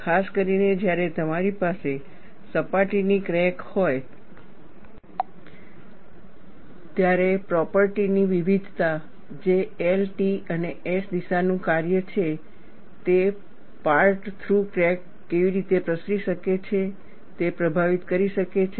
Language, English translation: Gujarati, Particularly, when you have a surface crack, the property variation, which is a function of the L, T and S direction can influence how the part through crack can propagate